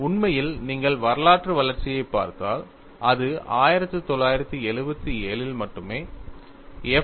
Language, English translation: Tamil, In fact, if you look at the historical development, it was only in 1977, F